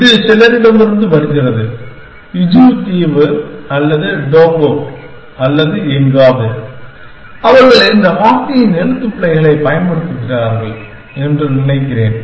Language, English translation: Tamil, This comes from some I think Fiji Island or Tonga or somewhere, where they use this spelling of the word